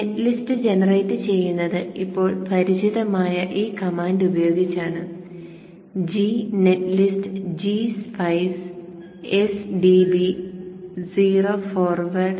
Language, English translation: Malayalam, So generating the net list is with this now familiar command, G netlist dash G Spice, dash o forward